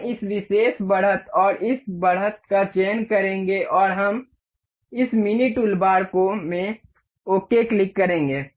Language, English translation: Hindi, We will select this particular edge and this edge and we will click ok in this mini toolbar